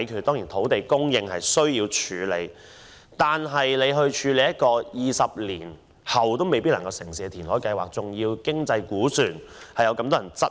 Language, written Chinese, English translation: Cantonese, 當然，土地供應問題需要處理，但一項填海計劃，在20年後也未必能夠成事，其經濟估算被許多人質疑。, Needless to say the problem of land supply must be dealt with but the reclamation project might not be completed after more than 20 years and its economic estimates are being questioned